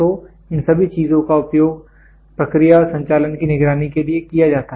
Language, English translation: Hindi, So, all these things are used for monitoring the process and operation